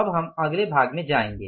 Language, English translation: Hindi, Now we will move to the next part